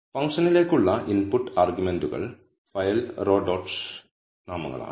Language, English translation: Malayalam, The input arguments to the function are file and row dot names